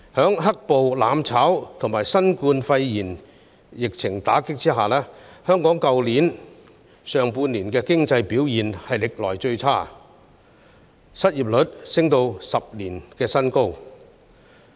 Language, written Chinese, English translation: Cantonese, 在"黑暴"、"攬炒"及新冠肺炎疫情的打擊下，香港去年上半年的經濟表現歷來最差，失業率升至10年新高。, Under the impact of black - clad violence mutual destruction and the COVID - 19 pandemic Hong Kongs economic performance in the first half last year was the worst ever with the unemployment rate rising to a 10 - year high